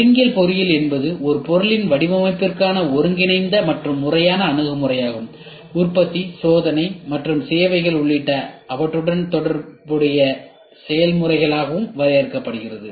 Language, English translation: Tamil, Concurrent engineering can be defined as an integrated and systematic approach to the design of a product and their related processes including manufacturing, testing and services